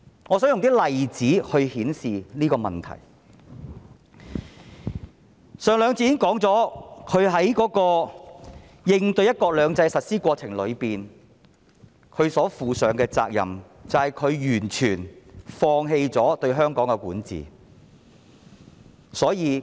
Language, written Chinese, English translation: Cantonese, 我想舉一些例子來證明我的說法，我在上兩節曾說，"林鄭"在應對"一國兩制"的實施過程中，她所負的責任就是完全放棄對香港的管治。, I want to cite some examples to prove my viewpoint . I said in the last two sessions that in respect of the implementation of one country two systems Carrie LAM has totally surrendered the governance of Hong Kong